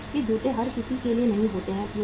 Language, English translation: Hindi, Nike shoes are not for everybody